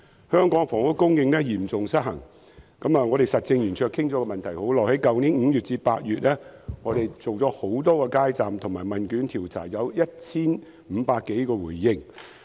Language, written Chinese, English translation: Cantonese, 香港的房屋供應嚴重失衡，我們實政圓桌就這問題已討論多時，並在去年5月至8月設立多個街站進行問卷調查，接獲 1,500 多份回應。, The housing supply in Hong Kong is seriously imbalanced . We in the Roundtable have discussed this issue for quite some time . From May to August last year we set up a number of street booths to conduct a questionnaire survey and received some 1 500 completed questionnaires